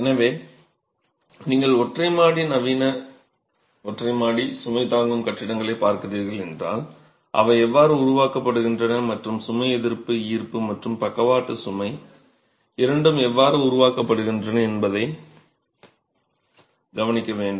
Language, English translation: Tamil, So, if you were to look at single storied, modern single storied load bearing buildings, how do they, how are they conceived and how is the load resistance, both gravity and lateral load in such constructions